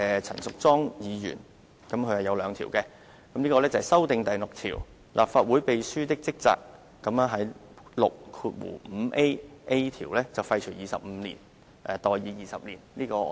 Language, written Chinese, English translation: Cantonese, 陳淑莊議員亦提出了兩項修訂，包括修訂第6條，在第 6a 條廢除 "25 年"而代以 "20 年"。, Ms Tanya CHAN proposes two amendments including an amendment proposed to RoP 6 so that 25 years in RoP 65Aa will be repealed and substituted by 20 years